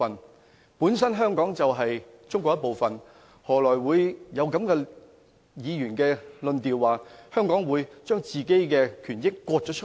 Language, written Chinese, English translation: Cantonese, 香港本身就是中國的一部分，為何議員會說，香港把本身的權益分割呢？, As Hong Kong is naturally a part of China how come Members claim that Hong Kong has stripped its own rights and benefits?